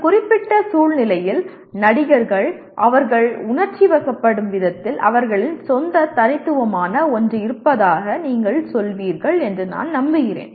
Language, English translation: Tamil, And I am sure you will find let us say actors the way they emote in a given situation there is something unique of their own